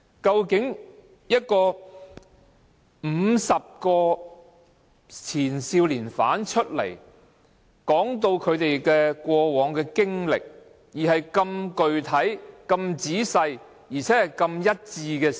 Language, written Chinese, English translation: Cantonese, 現時有50名前少年犯出來講述其過往經歷，而且內容相當具體、仔細及具一致性。, At present 50 former juvenile offenders have told us their past experiences with specific details and consistency